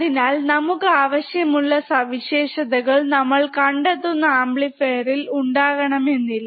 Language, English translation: Malayalam, So, we cannot have the characteristics that we really want in an operational amplifier